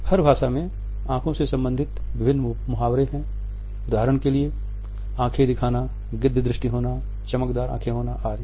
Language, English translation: Hindi, There are various idioms in every language which are related with the eyes; for example, making eyes, eagle eyes, shifty eyes etcetera